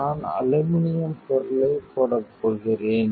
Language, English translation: Tamil, I am going to put aluminum material on it